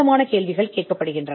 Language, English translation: Tamil, The further questions are asked